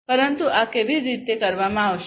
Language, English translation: Gujarati, But how these are going to be done